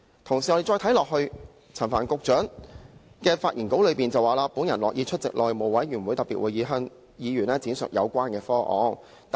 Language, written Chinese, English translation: Cantonese, 同時，陳帆局長在其發言稿中，更提到"我樂意出席內務委員會特別會議，向議員闡述有關方案"。, Besides we also notice that in the speech Secretary Frank CHAN even says that he is happy to explain the relevant proposal to Members at a special House Committee meeting